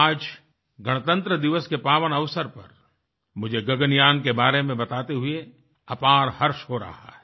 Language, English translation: Hindi, My dear countrymen, on the solemn occasion of Republic Day, it gives me great joy to tell you about 'Gaganyaan'